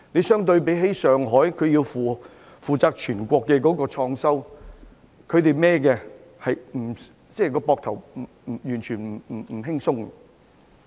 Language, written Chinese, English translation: Cantonese, 相對而言，上海要負責全國的創收，他們背負的壓力絕不輕鬆。, In comparison Shanghai is obliged to obtain revenues for the whole country which indeed is a heavy burden